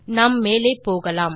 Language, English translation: Tamil, Let us move further